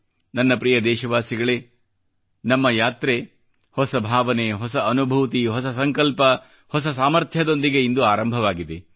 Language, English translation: Kannada, My dear countrymen, we're embarking on a new journey from today armed with new emotions, new realizations, new resolve and renewed vigour